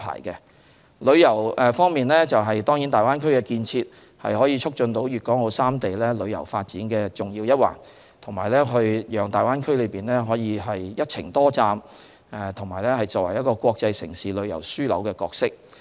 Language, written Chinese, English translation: Cantonese, 在旅遊方面，當然大灣區建設是促進粵港澳三地旅遊發展的重要一環，讓大灣區可以擔任"一程多站"和"國際城市旅遊樞紐"的角色。, In terms of tourism the development of the Greater Bay Area surely plays a pivotal role in promoting tourism development among the three places of Guangdong Hong Kong and Macao consolidating the Greater Bay Areas position in multi - destination travel and as an International City cum Tourism Hub